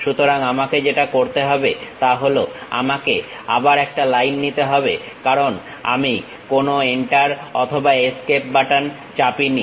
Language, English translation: Bengali, So, what I have to do is I do not have to really pick again line because I did not press any Enter or Escape button